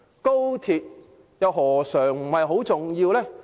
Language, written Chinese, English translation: Cantonese, 高鐵何嘗不是很重要？, Isnt XRL very important too?